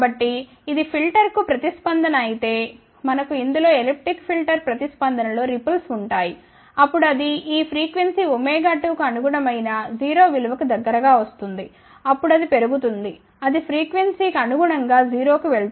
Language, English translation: Telugu, So, we will have a elliptic filter response ripples in this one then it will come down to close to 0 value corresponding to this frequency omega 2, then it will go up, it will go to 0 corresponding to the frequency